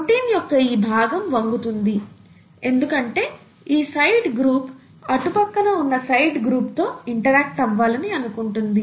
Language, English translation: Telugu, The this, this part of the protein would be bent because this side group wants to interact with this side group, okay